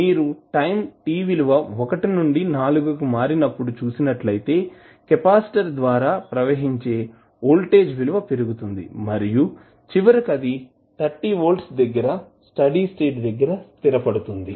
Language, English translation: Telugu, You will see when time is changing from 1 to 4 the voltage across capacitor is rising and finally it will settle down to the steady state value that is 30 volts